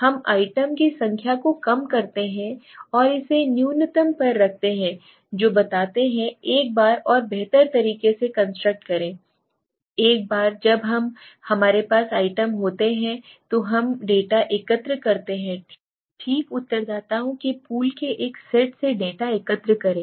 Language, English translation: Hindi, We reduce the number of items and keep it to the minimum which explains the construct in more better way right then once we collect the data once we have the items we collect the data from a set of pool of respondents okay